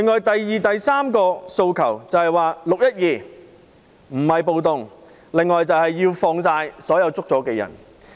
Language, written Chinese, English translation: Cantonese, 第二及第三項訴求就是說明"六一二"不是暴動及釋放所有被捕人士。, The second and third demands respectively ask the Government to retract the categorization of the 12 June incident as a riot and release all protesters arrested